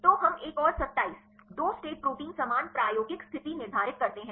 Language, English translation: Hindi, So, we set another 27, 2 state proteins same experimental conditions